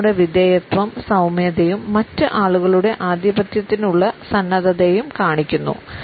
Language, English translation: Malayalam, It also shows our submissiveness and our meekness and our willingness to be dominated by other people